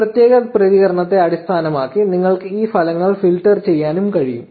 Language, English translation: Malayalam, You can even filter these results based on a particular reaction